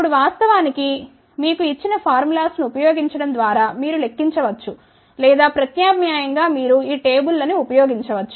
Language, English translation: Telugu, Now, of course, you can do the calculations by using the formulas given to you or alternatively you can use these stables